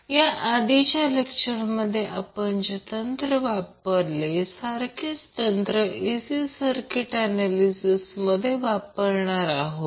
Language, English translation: Marathi, So whatever we techniques, the techniques we used in previous lectures, we can equally use those techniques for our AC circuit analysts